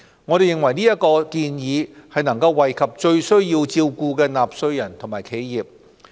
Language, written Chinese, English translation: Cantonese, 我們認為這項建議已能惠及最需要照顧的納稅人和企業。, We believe this proposal can take care of those taxpayers and enterprises most in need of assistance